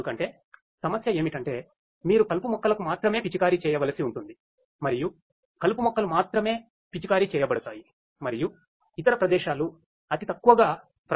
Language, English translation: Telugu, Because the problem is that you need to have precise spray of weedicides in such a way that only the weeds will be sprayed and the other places will be minimally affected right